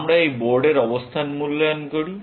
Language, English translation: Bengali, We evaluate this board position